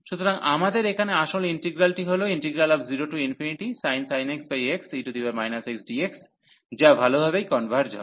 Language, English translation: Bengali, So, we have the original integral here 0 to infinity sin x over x that converges well